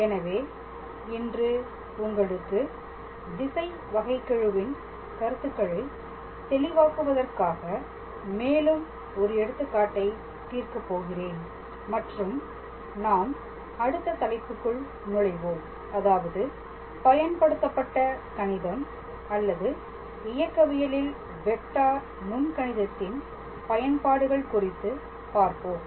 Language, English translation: Tamil, So, today I will solve one more example on directional derivative just to make the concept clear and then we will move on to our next topic which is basically the Application of Vector Calculus in applied mathematics or in Mechanics